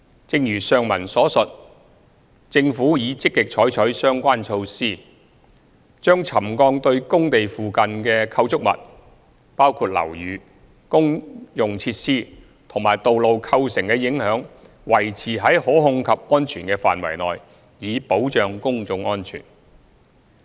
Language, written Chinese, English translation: Cantonese, 正如上文所述，政府已積極採取相關措施，把沉降對工地附近構築物，包括樓宇、公用設施及道路構成的影響維持在可控制及安全的範圍內，以保障公眾安全。, As I said just now the Government has actively taken the relevant measures to bring the impacts of settlement to the structures including buildings utilities and roads near the works sites to within controllable and safe range to safeguard public safety